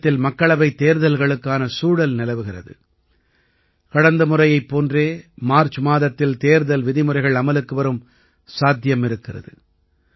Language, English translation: Tamil, The atmosphere of Lok Sabha elections is all pervasive in the country and as happened last time, there is a possibility that the code of conduct might also be in place in the month of March